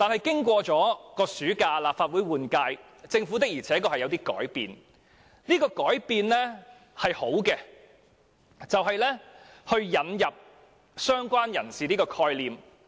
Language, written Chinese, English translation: Cantonese, 經過暑假後，立法會換屆，政府確實有所改變，而且是好的改變，就是引入了"相關人士"的概念。, After the summer recess the Legislative Council underwent a general election and the Government has indeed changed for the better in that it has introduced the concept of related person